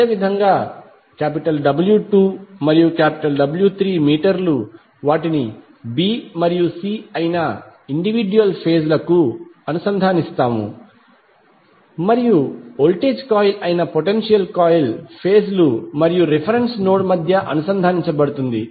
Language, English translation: Telugu, Similarly for W 2 and W 3 meters will connect them to individual phases that is b and c and the potential coil that is voltage coil will be connected between phases and the reference node